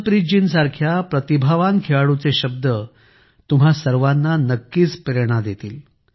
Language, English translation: Marathi, The words of a talented player like Harmanpreet ji will definitely inspire you all